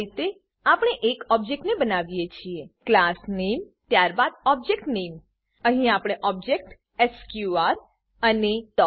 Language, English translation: Gujarati, This is how we create an object class name followed by the object name Here we call the function area using the object sqr and a